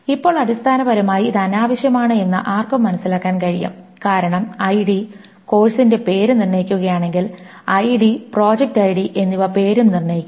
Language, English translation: Malayalam, And now one can see that essentially this is redundant because if ID determines name, of course, project ID determines the name as well